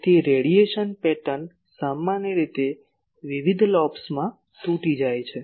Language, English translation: Gujarati, So, the radiation pattern is generally broken into various lobes